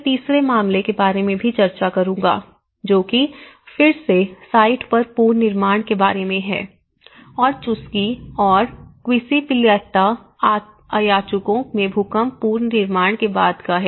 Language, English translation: Hindi, I will also discuss about the third case, which is an on site reconstruction again and post earthquake reconstruction in Chuschi and Quispillacta Ayacucho